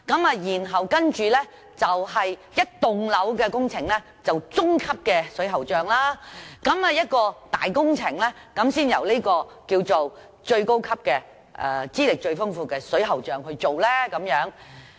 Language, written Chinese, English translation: Cantonese, 至於整幢樓宇的工程，則由中級水喉匠負責；而一些大工程，才由最高級、資歷最豐富的水喉匠負責。, The middle ranking plumbers will be in charge of the works for the whole building while the most senior and experienced plumbers will be in charge of some large projects